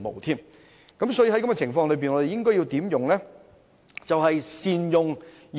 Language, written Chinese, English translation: Cantonese, 在現時情況下，我們應善用現有的資源。, We should make better use of the existing resources under the current situation